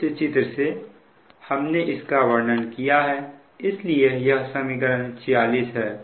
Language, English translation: Hindi, that means in this equation, that means in this equation, equation forty six